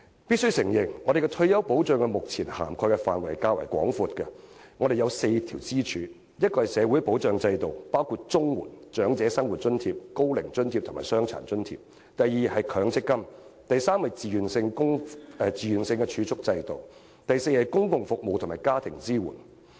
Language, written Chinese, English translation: Cantonese, 必須承認，我們的退休保障目前涵蓋的範圍較廣，我們有4根支柱：第一是社會保障制度，包括綜合社會保障援助、長者生活津貼、高齡津貼和傷殘津貼；第二是強積金；第三是自願儲蓄制度；第四是公共服務及家庭支援。, It must be admitted that our retirement protection schemes cover a rather broad area . There are four pillars namely first social security schemes including the Comprehensive Social Security Assistance CSSA Old Age Living Allowance Old Age Allowance and Disability Allowance; second MPF; third voluntary savings schemes; and fourth social services and family support